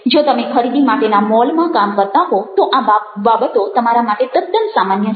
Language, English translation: Gujarati, if you working in to a shopping mall, these things are become pretty common